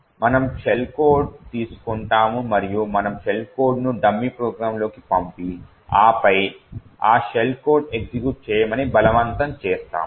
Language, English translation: Telugu, We will take a shell code and we will inject the shell code into a dummy program and then force this shell code to execute